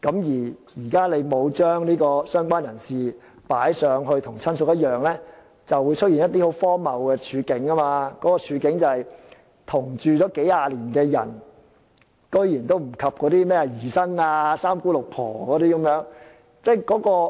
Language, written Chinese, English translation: Cantonese, 如果"相關人士"不與"親屬"看齊，將會出現一些很荒謬的處境，那便是同住數十年的人竟然不及姨甥或"三姑六婆"等。, If related person is not on par with relative some absurd scenarios may arise in that a cohabitant for a few decades cannot even compare to the niece or nephew or some distant relatives